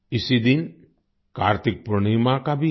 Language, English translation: Hindi, This day is also Kartik Purnima